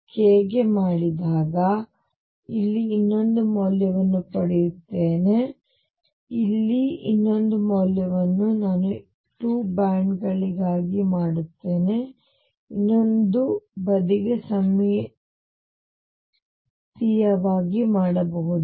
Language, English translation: Kannada, Do it for the next k I will get another value here another value here I just do it for 2 bands I can do symmetrically for the other side